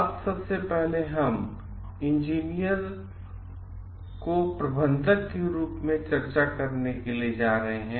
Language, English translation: Hindi, Now firstly, we are going to discuss like engineers as managers